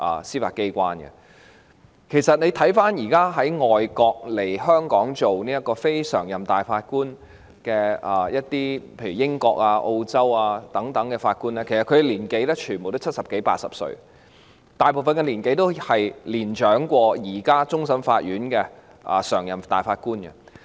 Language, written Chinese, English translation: Cantonese, 事實上，大家看到現時從外國——例如英國和澳洲等地——來港擔任終審法院非常任法官的人士，全部均是七十多八十歲，大部分都較現時的終審法院常任法官年長。, As a matter of fact we can see that those from foreign countries―such as the United Kingdom and Australia―coming to Hong Kong to serve as non - permanent judges of the Court of Final Appeal CFA are all in their seventies or eighties . Most of them are older than the serving permanent judges of CFA